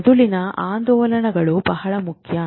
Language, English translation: Kannada, Brain oscillations are very important